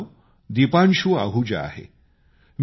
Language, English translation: Marathi, My name is Deepanshu Ahuja